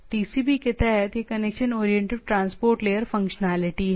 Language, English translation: Hindi, Underlying the TCP is there, that is the connection oriented transport layer functionality